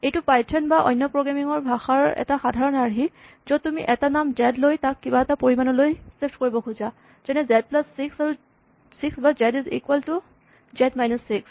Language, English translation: Assamese, Now, this is a very common paradigm in python and other programming languages where you want to take a name say z, and then you want to shift it by some amount, say z plus 6 or z is equal to z minus 6